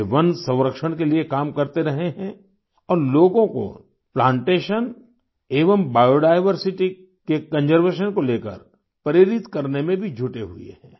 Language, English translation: Hindi, He has been constantly working for forest conservation and is also involved in motivating people for Plantation and conservation of biodiversity